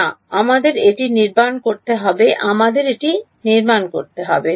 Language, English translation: Bengali, No we have to construct it; we have to construct it